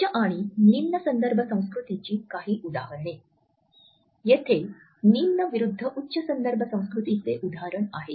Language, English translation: Marathi, Some examples of higher and lower context culture; here is an example of low versus high context culture